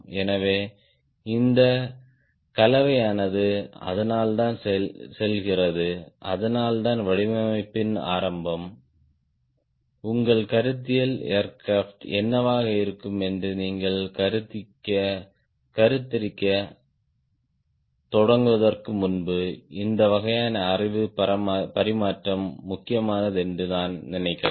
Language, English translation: Tamil, thats why, beginning of the design, i think this sort of a way knowledge exchange is important before you start conceiving what will be your conceptual aircraft